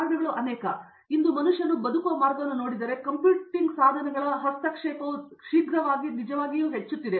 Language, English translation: Kannada, Reasons are many, if you look at the way man lives today, the actual intervention of computing devices is increasing in a rapid pace